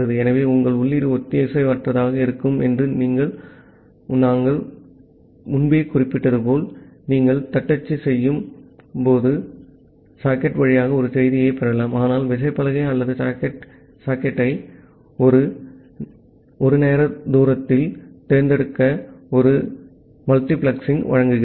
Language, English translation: Tamil, So, as we have mentioned earlier that your input can be asynchronous, you can get a message over the socket while you are doing the typing, but it provides you a multiplexing to select either the keyboard or the socket at one time distance